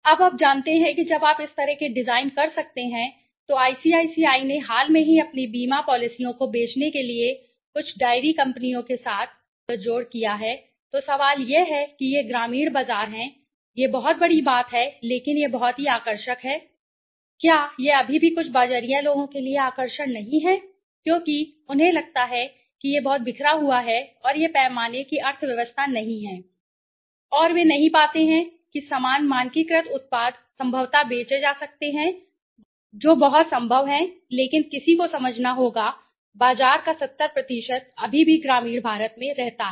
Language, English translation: Hindi, And you know their want so when you can do these kind of designs even recently ICICI they tied up with some of the diary companies to sell their insurance policies right so the question is rural market is there, it is large it is hugely available but the question is it is still not attractive for some marketer because they feel it is too scattered and it is not a economy of scale and they do not find that the same standardize product could be possibly sold yeah that is possible very much possible but one has to understand that 70% of the market still lives in the rural India right